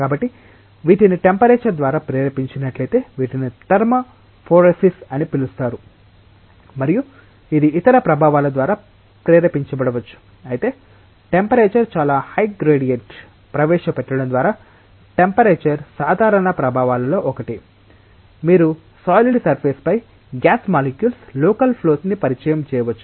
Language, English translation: Telugu, So, these are called as phoretic motions if these are induced by temperature these are called as thermophoresis and this may be induced by any other effect, but temperature is one of the common effects by which by introducing a very high gradient of temperature, you can introduce local flow of molecules of gases over the solid boundary